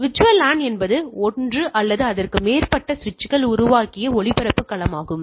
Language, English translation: Tamil, So, VLAN is a broadcast domain created by one or more switches